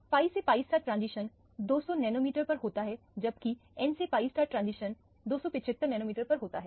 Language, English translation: Hindi, The pi to pi star transition occurs at 200 nanometers, whereas the n to pi star transition occurs at 275 nanometers